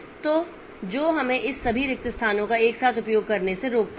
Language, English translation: Hindi, So, that stops us from using all these free spaces together